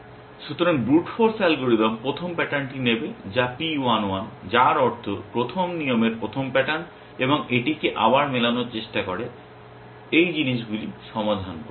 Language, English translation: Bengali, So, the brute force algorithm would take the first pattern which is P 1 1 which means the first pattern of the first rule and try matching it again solve these things